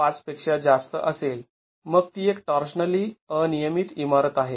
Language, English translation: Marathi, 5 then it is a torsionally irregular building